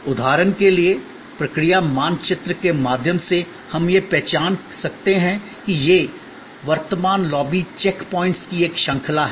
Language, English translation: Hindi, For example, through process map we could identify that this, the current lobby is a series of check points